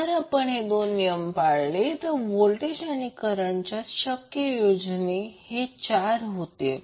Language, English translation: Marathi, So if we follow these two rules, the possible combinations for voltage and current are four